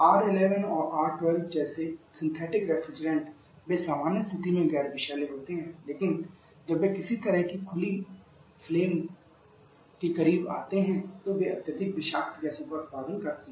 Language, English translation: Hindi, Synthetic refrigerants like our R11 R12 they are non toxic under normal condition, but when they come in close to some kind open flame they produces highly toxic gases